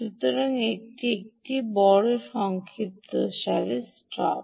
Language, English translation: Bengali, so this is the big summary, stop